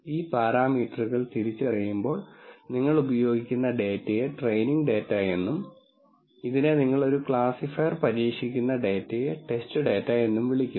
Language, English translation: Malayalam, And the data that you use while these parameters are being identified are called the training data and this is called the test data that you are testing a classifier with